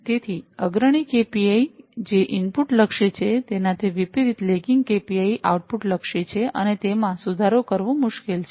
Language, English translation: Gujarati, So, unlike the leading KPI, which is input oriented, the lagging KPI is out output oriented, and this is hard to improve, right